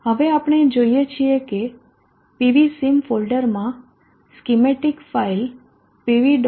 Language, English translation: Gujarati, Now we see that in the pv sim folder the schematic file P V